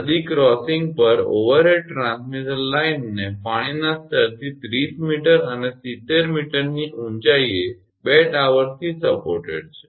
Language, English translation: Gujarati, An overhead transmission line at a river crossing is supported from two towers at heights of 30 meter and 70 meter above the water level